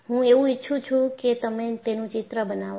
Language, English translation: Gujarati, I want you to make a sketch of it